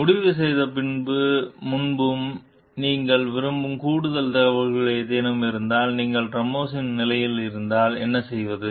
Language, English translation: Tamil, What, if any, additional information would you want before deciding, what to do if you were in Ramos s position